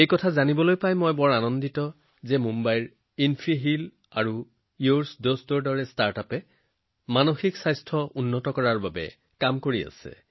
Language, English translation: Assamese, I am very happy to know that Mumbaibased startups like InfiHeal and YOURDost are working to improve mental health and wellbeing